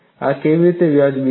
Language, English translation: Gujarati, How this is justified